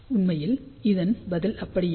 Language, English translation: Tamil, In fact, the answer is not really